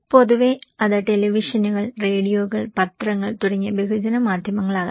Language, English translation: Malayalam, Generally, it is could be mass media like televisions, radios, newspapers for many other